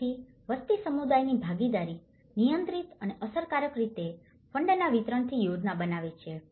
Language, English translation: Gujarati, So, the population, the community participation controlling and efficiently planning the distribution of funds